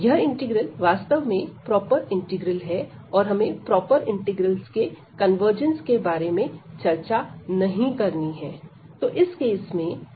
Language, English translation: Hindi, So, this integral is indeed a proper integral and we do not have to discuss about the convergence of improper integrals